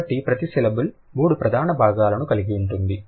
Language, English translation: Telugu, So, each syllable will have three major components